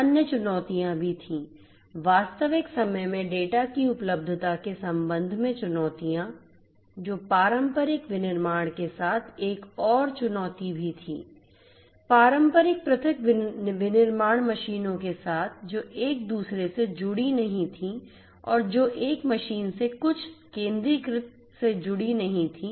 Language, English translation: Hindi, There were other challenges also, challenges with respect to the availability of data in real time that was also another challenge with traditional manufacturing, with traditional isolated manufacturing machines which were not connected with one another and which were also not connected from one machine to some centralized entity or the controlled station